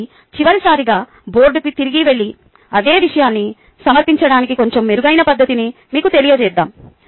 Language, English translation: Telugu, ok, so let us go back to the board on last time and tell you a slightly better method of presenting the same material